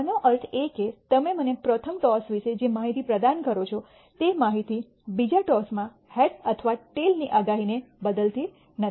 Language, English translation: Gujarati, That means, information you provide me about the first toss has not changed my predictability of head or tail in the second toss